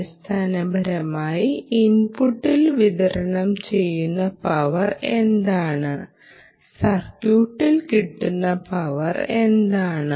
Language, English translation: Malayalam, ok, essentially, what is the power that is being delivered at the input and what is the power that is delivered at the output